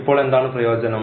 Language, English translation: Malayalam, And, what is the advantage now